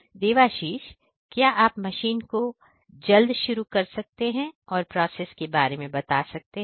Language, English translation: Hindi, Devashish, could you please quickly switch on the machine and then demonstrate the process